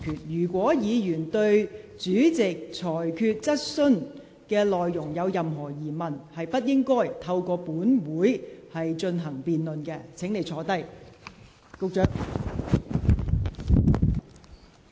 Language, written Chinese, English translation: Cantonese, 如議員對主席的裁決有任何疑問，也不應在立法會會議上辯論他的裁決。, Even if a Member has any queries on the Presidents ruling he should not debate his ruling at the Legislative Council meeting